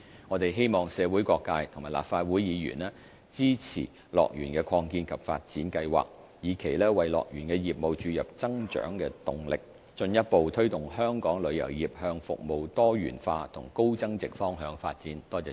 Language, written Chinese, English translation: Cantonese, 我們希望社會各界和立法會議員支持樂園的擴建及發展計劃，以期為樂園業務注入增長動力，進一步推動香港旅遊業向服務多元化和高增值方向發展。, We hope that different sectors of the community as well as Members of this Council will support the expansion and development plan with a view to bringing growth momentum to HKDLs business and fostering further development of our tourism industry towards diversified and high value - added services